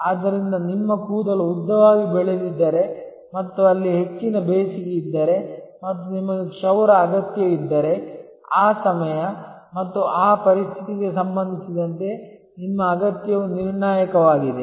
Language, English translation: Kannada, So, if your hair has grown long and there it is high summer and you need a haircut, then your need with respect to that time and that situation is critical